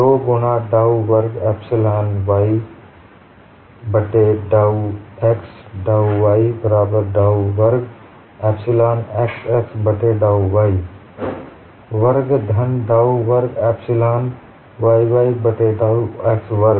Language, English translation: Hindi, 2 times dou squared epsilon x y divided by dou x dou y equal to dou squared epsilon xx divided by dou y squared plus dou squared epsilon yy divided by dou x squared